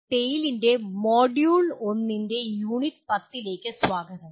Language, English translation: Malayalam, Welcome to the Unit 10 of Module 1 of TALE